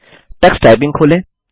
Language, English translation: Hindi, Lets open Tux Typing